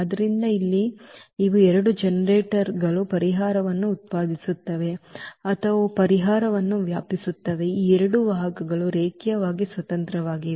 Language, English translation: Kannada, So, here these are the two generators which generates the solution or the they span the solution, also these two vectors are linearly independent